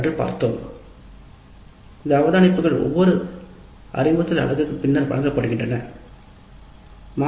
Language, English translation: Tamil, These observations are given after every instructor unit